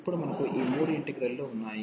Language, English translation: Telugu, So, now we have these three integrals